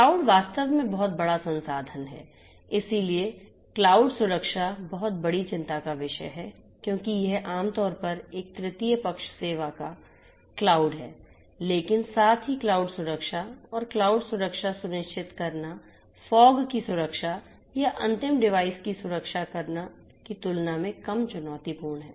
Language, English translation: Hindi, Cloud actually is the you know huge resource so cloud security is of huge concern because it’s typically a third party kind of service cloud, but at the same time you know cloud security and ensuring cloud security is of a lesser challenge than the form security or the n device security